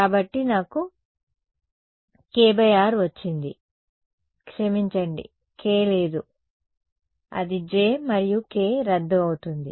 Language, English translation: Telugu, So, I get a k by r sorry there is no k it will become the j and k cancels off